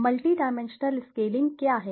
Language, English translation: Hindi, What is multi dimensional scaling